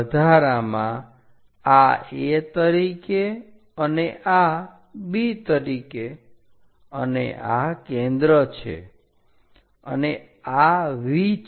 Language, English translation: Gujarati, And this one as A and this one as B, and this is focus, and this is V